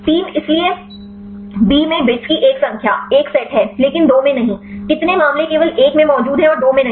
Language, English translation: Hindi, 3; so B is a number of bits set in 1, but not in 2; how many cases present only in 1 and not in 2